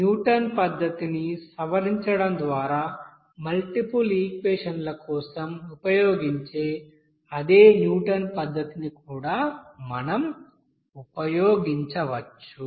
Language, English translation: Telugu, So in the, we can also use here the same Newton's method that will be used for that multiple equations by modifying this Newton's method